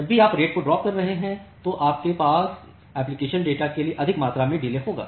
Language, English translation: Hindi, Whenever you are dropping the rate you will have more amount of delay for the application data